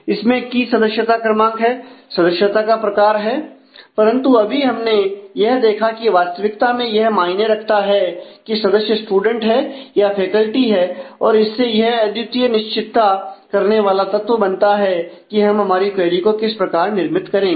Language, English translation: Hindi, Which has a member number and the member type, but now we have just seen that it actually matters as to whether the member is a student or is a faculty is a more unique deciding factor in terms of, how we design our query